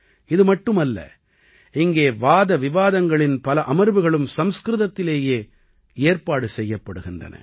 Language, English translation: Tamil, Not only this, many debate sessions are also organised in Sanskrit